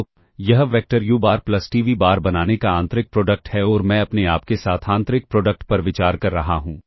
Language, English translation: Hindi, So, this is the inner product on forming the vector u bar plus t v bar and I am considering the inner product with itself